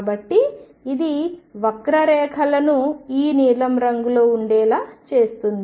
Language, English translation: Telugu, So, this will make it make the curve to be this blue one right